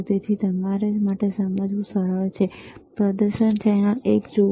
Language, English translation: Gujarati, So, it is easy for you to understand, see the display channel one ok,